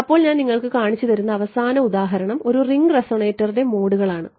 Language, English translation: Malayalam, Then the final example I want to show you is modes of ring resonator ok